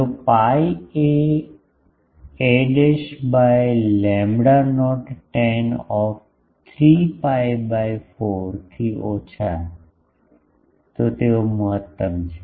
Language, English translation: Gujarati, If pi a dashed by lambda not tan of is less than 3 pi by 4, it is maximum that